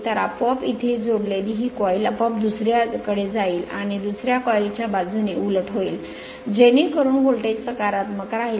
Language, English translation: Marathi, So, this coil automatically connected to the here automatically move to the other one and reverse will happen for the other coil side, so such that voltage will remain positive